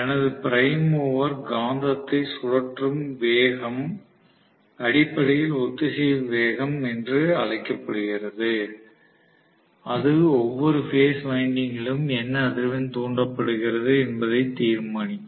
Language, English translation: Tamil, So essentially the speed at which my prime mover is rotating the magnet that is basically known as the synchronous speed, which will decide what frequency is induce in each of the phase windings